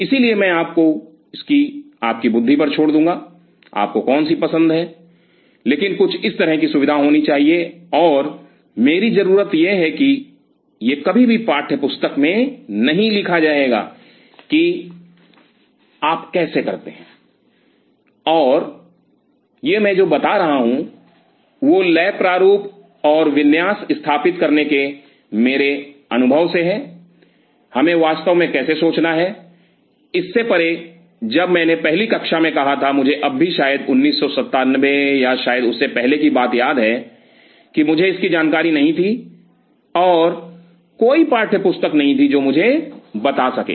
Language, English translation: Hindi, So, I will leave it to your wisdom which one you prefer, but some such facility has to be there and my need this one this will never be written in textbook how you do it, and this is what I am telling is from my experience of setting up labs design and layout how we really have to think, beyond because when I said the first class I still remember back in probably 1997 or maybe earlier than that, I was not aware of it and there is no textbook which could tell me